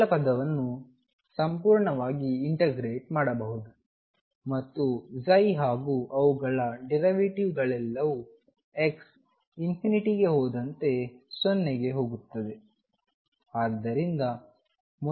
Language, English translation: Kannada, The first term can be integrated fully and since psi and their derivatives all go to 0 as x tends to infinity this term is going to be 0